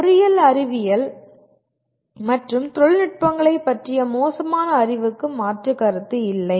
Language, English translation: Tamil, There is no substitute for poor knowledge of engineering sciences and technologies